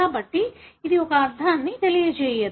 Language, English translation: Telugu, So, it does not convey a meaning